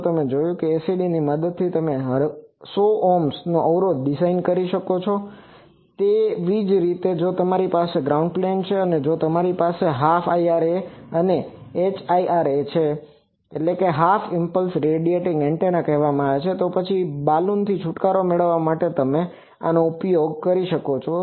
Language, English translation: Gujarati, So, you see that with ACD you can design a 100 Ohm impedance also Similarly now if you have a ground plane, and if you have half of the IRA that is called HIRA Half Impulse Radiating Antenna then to get rid of Balun you can use this